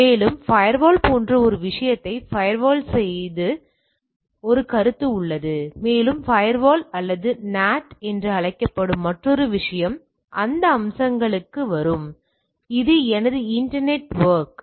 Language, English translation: Tamil, And, there is a concept of firewall like firewalling the thing and there is another thing called firewall or NAT will come to those aspects and this is my internet network